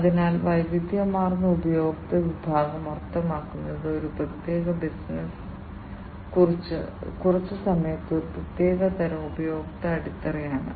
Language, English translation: Malayalam, So, diversified customer segment means like you know a particular business might be serving, a particular type of customer base for some time